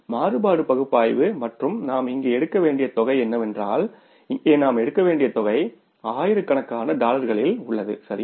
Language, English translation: Tamil, That is the flexible budget and the variance analysis and the amount we have to take here is the amount we have to take here is that is the amount we have to take here is that is in the thousands of dollars